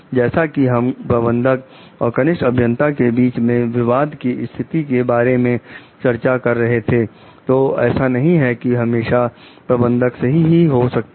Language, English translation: Hindi, As we were discussing in the conflicting situations of managers and maybe the junior engineer, so it is not that like the manager can always be right